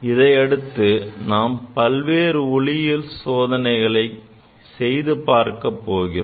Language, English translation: Tamil, Then we will perform, will demonstrate different experiments on optics